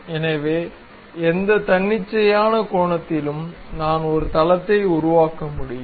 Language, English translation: Tamil, So, at any arbitrary angle, I can really construct a plane